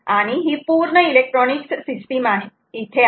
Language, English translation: Marathi, ok, and the full electronics system is here